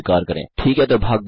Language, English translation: Hindi, Okay so tune in to Part 2